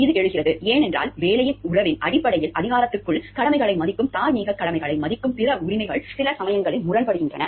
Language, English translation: Tamil, It , arises, because other rights to honor obligation, moral obligations within the authority based relationship of employment sometimes comes to conflict